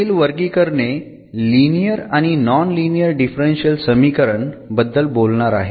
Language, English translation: Marathi, The further classifications will be talking about like the linear and the non linear differential equations